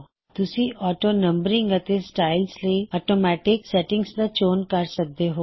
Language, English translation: Punjabi, You have a choice of automatic settings for AutoNumbering and Styles